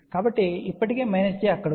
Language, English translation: Telugu, So, already minus j is out there